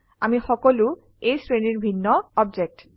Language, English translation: Assamese, We are all different objects of this class